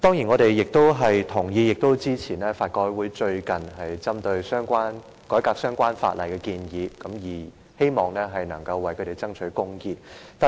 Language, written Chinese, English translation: Cantonese, 我們贊同法律改革委員會最近就改革相關法例提出的建議，希望能夠為殘疾人士爭取公義。, We agree with the recent recommendations made by the Law Reform Commission in respect of reforming the relevant legislation which hopefully will fight for justice for persons with disabilities